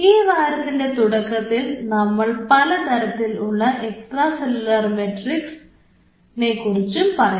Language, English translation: Malayalam, This week in the initial part we will be covering about the different kind of extracellular matrix